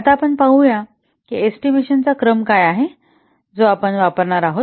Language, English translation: Marathi, Now let's see what are the sequences of the estimations that we have to follow